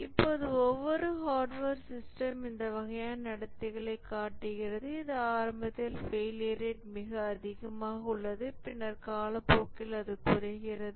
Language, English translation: Tamil, Now every hardware system it shows this kind of behavior that initially the failure rate is very high and then with time it decreases